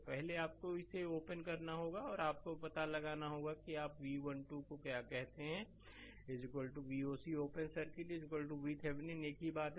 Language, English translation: Hindi, So, first is you have to open it and you have to find out, what you call V 1 2is equal to V oc open circuit is equal to V Thevenin same thing right